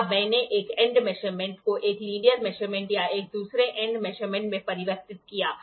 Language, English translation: Hindi, Now I have converted an end measurement into a linear measurement or an end another end measurement